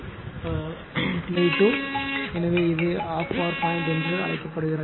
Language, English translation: Tamil, So, t by 2 so, this is called half power point